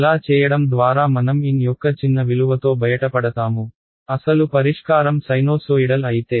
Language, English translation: Telugu, By doing that I will get away with a small value of capital N, if the actual solution is sinusoidal